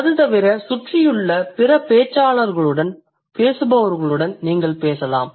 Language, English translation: Tamil, Besides that, you can also talk to other speakers in the surrounding